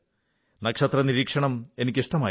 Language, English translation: Malayalam, I used to enjoy stargazing